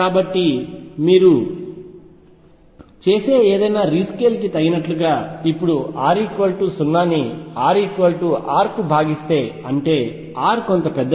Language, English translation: Telugu, So, appropriately whatever rescale you do, now divide r equal to 0 to some r equals R, where R is sufficiently large